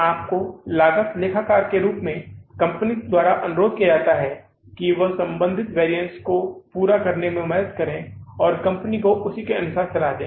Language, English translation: Hindi, You as a cost accountant are requested by the company to help in working out the relevant variances and advise the company accordingly